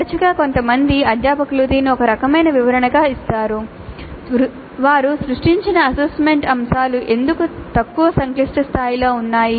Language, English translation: Telugu, Now often faculty give not all but some of them do give this as a kind of an explanation why the assessment items that they have created are at lower complexity level